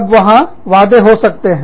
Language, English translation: Hindi, Then, there could be promises